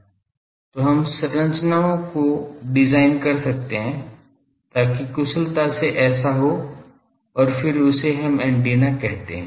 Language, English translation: Hindi, So, we can design the structures, so that efficiently do this and then we call that is antenna